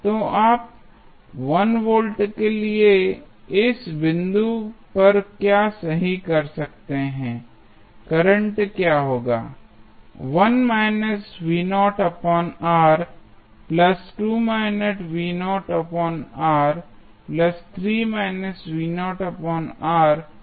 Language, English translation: Hindi, So, what you can right at this point for 1 volt what would be the current